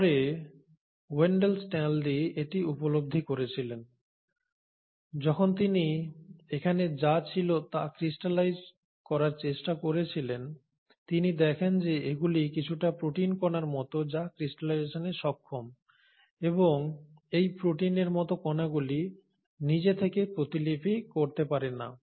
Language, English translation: Bengali, Later it was realised by Wendall Stanley, when he tried to crystallise what was here, he found that these are some protein like particles which are capable of crystallisation and these protein like particles, on their own, cannot replicate